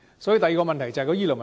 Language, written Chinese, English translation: Cantonese, 所以，第二個問題便是醫療問題。, The second problem we have to deal with is the provision of medical services